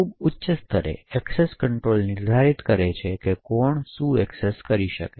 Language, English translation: Gujarati, At a very high level, access control defines who can access what